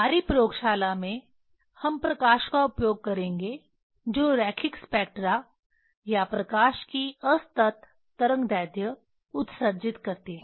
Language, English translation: Hindi, In our laboratory we will use light which are emit line spectra or discrete wavelength of light